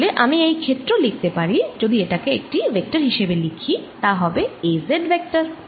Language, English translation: Bengali, so i can write this area if i write it as a vector, as delta a z vector